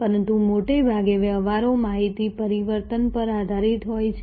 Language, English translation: Gujarati, But, mostly the transactions are based on information transform